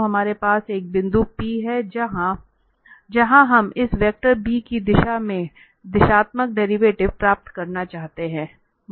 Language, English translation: Hindi, So we have a point P our interest where we want to get the directional derivative in the direction of this vector b